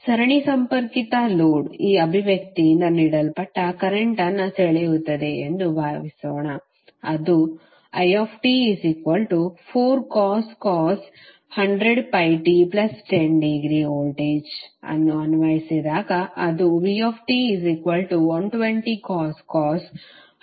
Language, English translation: Kannada, Suppose a series connected load draws current given by this expression i when they applied voltage is vt that is 120 cos 100 pi t minus 20